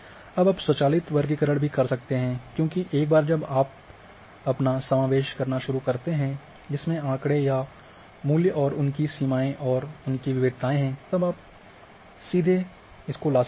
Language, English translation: Hindi, Now, you can also do automatic classifications because once you start involving your statistics here or the values and their ranges and their variations then you can bring a statistics directly